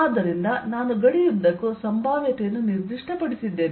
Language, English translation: Kannada, so i have actually specified potential all over the boundary